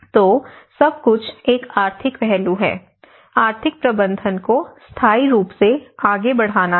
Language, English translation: Hindi, So, everything is an economic aspect; the economic management has to proceed in a sustainable